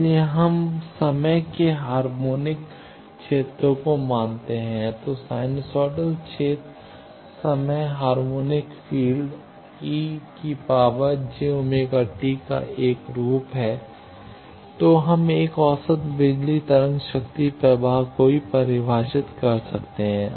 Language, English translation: Hindi, So, if we assume time harmonic fields, that is sinusoidal fields are one form of time harmonic field e to the power j omega t, then we can also define an average power wave power flow